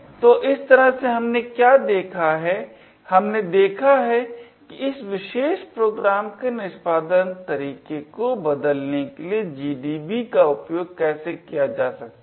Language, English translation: Hindi, So, in this way what we have seen is that, we have seen how GDB can be used to actually change the execution pattern of this particular program